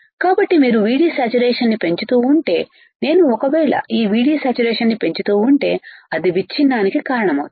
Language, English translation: Telugu, So, if you keep on increasing VD saturation, if I keep on increasing this VD saturation right it will cause a breakdown